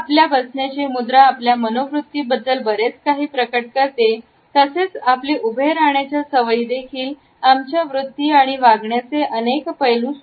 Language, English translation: Marathi, If our sitting posture reveals a lot about our attitudes, the way we stand also indicates several aspects of our attitudes and behaviour